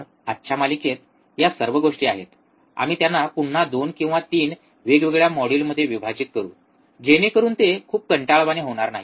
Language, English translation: Marathi, So, these are the set of things in today's series, we will again divide these into 2 or 3 different modules so that it does not become too boring